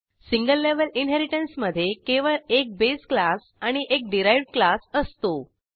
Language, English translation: Marathi, In single level inheritance only one base class and one derived class is needed